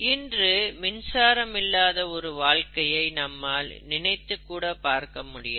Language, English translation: Tamil, We cannot even think of a life without support from electricity